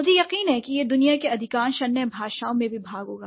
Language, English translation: Hindi, And I'm sure this would be, this would also be okay in most of the other languages in the world